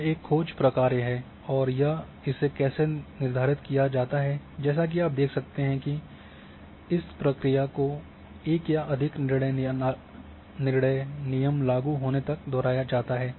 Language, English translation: Hindi, So, this is a seek function and how it is been determined as you can see the process is repeated till one or more decision rule becomes applicable